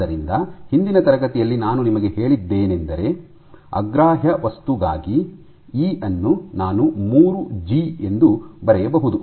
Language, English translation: Kannada, So, in the last class I have also told you that for an incompressible material your E, I can write it simply as 3G